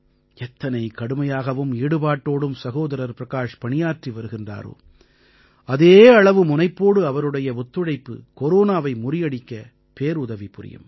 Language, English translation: Tamil, The kind of hard work and commitment that our friends like Bhai Prakash ji are putting in their work, that very quantum of cooperation from them will greatly help in defeating Corona